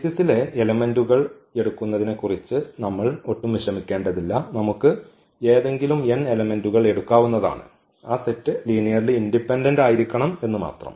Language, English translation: Malayalam, Another beautiful result that we do not have to worry about picking up the elements for the basis we can take any n elements, but that set should be linearly independent